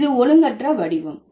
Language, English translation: Tamil, So, this is an irregular form